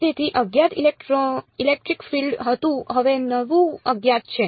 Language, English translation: Gujarati, So, the unknown was electric field now the new unknown is